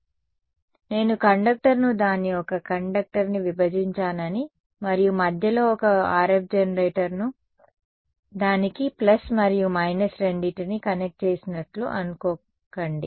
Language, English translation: Telugu, So, don’t think that I have split the conductor its one conductor and in the middle as connected one RF generator both the leads to it plus and minus